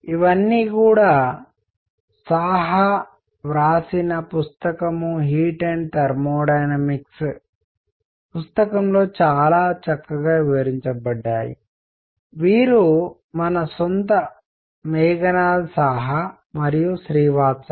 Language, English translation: Telugu, All this is very nicely described in book by book on Heat and Thermodynamics by Saha; this is our own Meghanath Saha and Srivastava